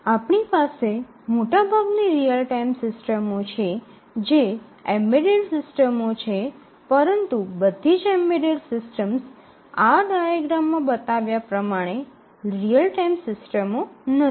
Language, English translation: Gujarati, So, we have majority of the real time systems are embedded systems, but not all embedded systems are real time systems as shown in this diagram and also there are some real time systems which are not embedded